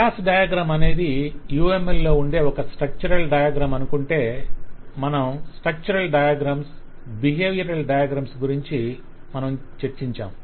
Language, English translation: Telugu, So, given that a class diagram is an UML structural diagram, You will recall that we have talked of structural diagram and behavioral diagrams